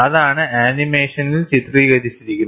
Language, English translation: Malayalam, That is what is depicted in the animation